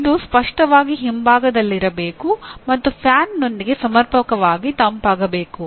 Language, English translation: Kannada, It should obviously be at the back and adequately cooled with a fan or otherwise